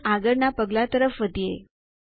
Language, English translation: Gujarati, And proceed to the next step